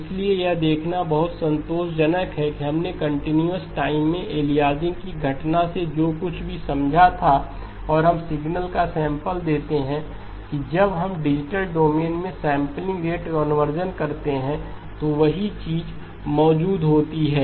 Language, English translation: Hindi, So it is intuitively very satisfying to see that whatever we understood from the aliasing occurrence of aliasing in continuous time and we sample the signal that same thing is also present when we do sampling rate conversion in the digital domain okay